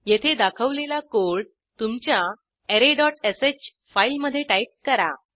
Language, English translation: Marathi, Press Enter Type the code as shown here in your array.sh file